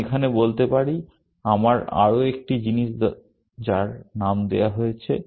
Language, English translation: Bengali, I could say here, I need one more thing which is named